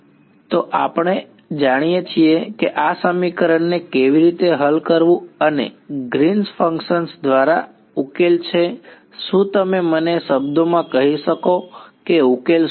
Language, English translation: Gujarati, So, we know how to solve this equation and the solution is by Green’s function can you tell me in words what is the solution